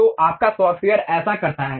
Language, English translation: Hindi, So, your software does that